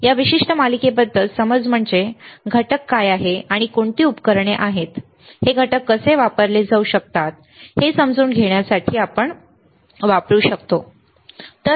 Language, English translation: Marathi, The understanding about this particular series is what are the components and what are the equipment that we can use to understand how this components would be can be used can be used, right